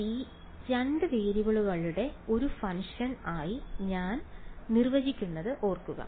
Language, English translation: Malayalam, g; g remember I have defined as a function of two variables right